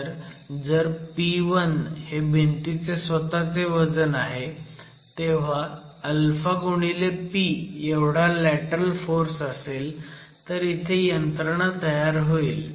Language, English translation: Marathi, So, if P1 is the self weight of the wall itself at a lateral force equal to some alpha times p you are getting the mechanism formation